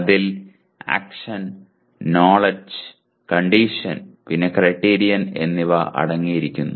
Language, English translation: Malayalam, It consists of Action, Knowledge, Condition, and Criterion